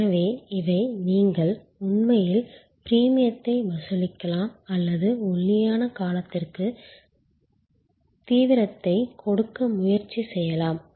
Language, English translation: Tamil, So, these are where you can actually either charge premium or you can try to give intensive for the lean period both are managing demand